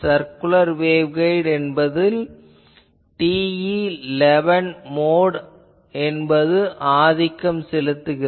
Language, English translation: Tamil, Then in case of a circular waveguide TE11 mode is the dominant mode